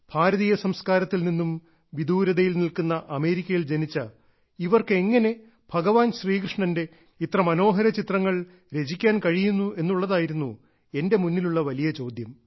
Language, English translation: Malayalam, The question before me was that one who was born in America, who had been so far away from the Indian ethos; how could she make such attractive pictures of Bhagwan Shir Krishna